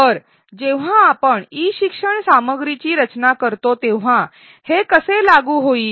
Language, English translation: Marathi, So, how does this apply when we design e learning content